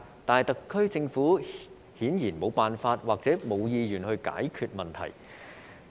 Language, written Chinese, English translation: Cantonese, 但是，特區政府顯然沒有辦法或沒有意願解決這個問題。, But the SAR Government apparently has no means nor the intention to resolve this problem